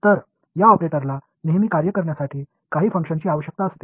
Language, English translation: Marathi, So, now, this operator is in need of some function to act on always